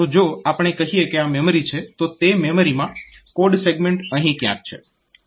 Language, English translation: Gujarati, So, if we say that this is my this is my memory and in that memory so my code segment is somewhere here